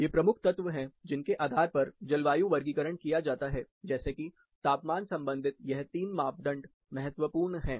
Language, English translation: Hindi, These are the major elements, based on which climate classification is done, as for temperature is concerned 3 parameters are important